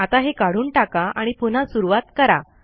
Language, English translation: Marathi, Lets get rid of this and start again